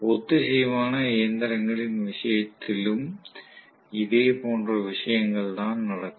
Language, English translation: Tamil, Similar thing will happen in the case of synchronous machine as well